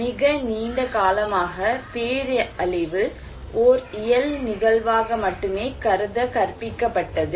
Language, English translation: Tamil, For very very long time, disaster was taught, considered that is only a physical event